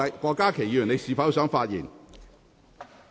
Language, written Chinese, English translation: Cantonese, 郭家麒議員，你是否想發言？, Dr KWOK Ka - ki do you wish to speak?